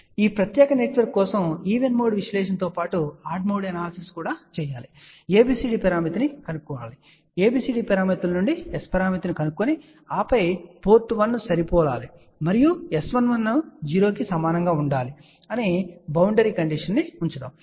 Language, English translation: Telugu, So, for this particular network do the even mode analysis as well as odd mode analysis find out ABCD parameter, from the ABCD parameters find out S parameter and then put the boundary condition that we want a port 1 to be matched and S 1 1 should be equal to 0